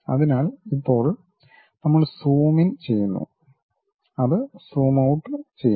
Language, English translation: Malayalam, So, now we are zooming in, it is zooming out